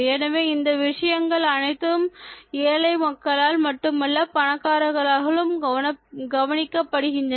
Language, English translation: Tamil, So, all these things are noted not only by the people who are poor but also the rich